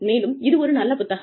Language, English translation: Tamil, And, it is a very good book